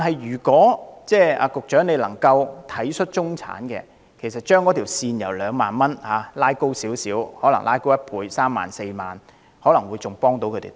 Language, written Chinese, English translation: Cantonese, 如果局長能體恤中產人士，將退稅額上限稍微提高一倍至三四萬元，對他們的幫助可能會更大。, If the Secretary is sympathetic to the middle class and willing to double the ceiling of the tax concession amount to the range of 30,000 to 40,000 it may be of greater help to them